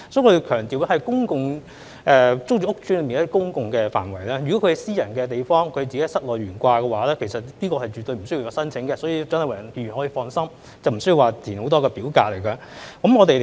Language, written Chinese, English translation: Cantonese, 我要強調這是指公共租住屋邨內的公共範圍；如果是私人地方，市民在自己的室內懸掛，其實是絕對不需要申請的，所以蔣麗芸議員可以放心，市民無須填寫很多表格。, I would like to emphasize that this refers to the public areas of PRH estates . If it is a private place there is absolutely no need for people to submit applications for the display of the national flag in their own flats so Dr CHIANG Lai - wan can rest assured that people do not need to fill in many forms